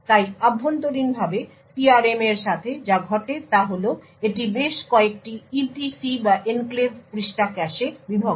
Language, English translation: Bengali, So internally what happens with the PRM is that it is divided into several EPC’s or Enclave Page Caches